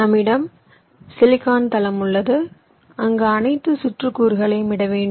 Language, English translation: Tamil, we have our play ground, which is the silicon floor, where we have to lay out all the circuit components